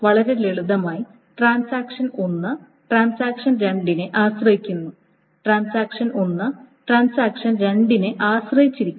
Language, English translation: Malayalam, So, very simply, transaction 1 depends on transaction 2 and transaction 2 depends on transaction 1